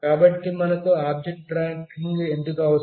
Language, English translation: Telugu, So, why do we need object tracking